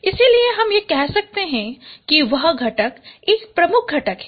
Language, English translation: Hindi, So that is then we say that component is a dominant component